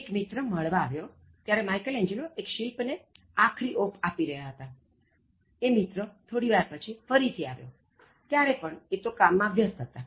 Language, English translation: Gujarati, A friend visited Michelangelo, who was finishing a statue; sometime afterwards, he visited again, the sculptor was still at his work